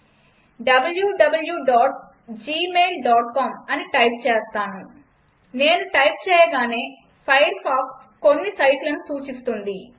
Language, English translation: Telugu, I type www.gmail.com As I type, Firefox may suggest a few possibilities